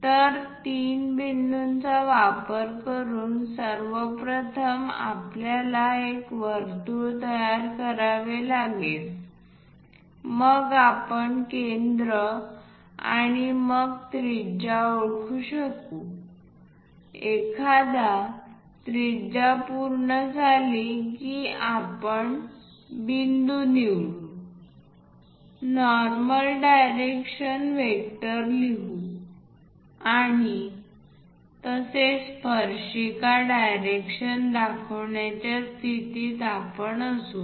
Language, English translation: Marathi, So, using three points first of all we have to construct a circle then we will be in a position to identify the centre and then radius, once radius is done we will pick the point, normal direction vector we will write and also tangent direction we will be in a position to do